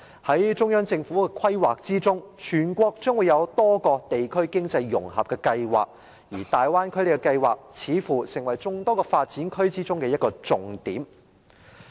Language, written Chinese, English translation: Cantonese, 在中央政府的規劃中，全國將會有多個地區經濟融合計劃。而大灣區計劃，似乎成為眾多發展區中的一個重點。, According to the plan of the Central Government there will be a number of projects on regional economic integration across the whole country and the Bay Area project seems to take a key position among others